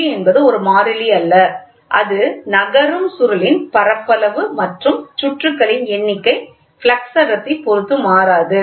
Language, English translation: Tamil, So, G is a constant and it is independent of the flux density and the moving and area of the moving coil and number of turns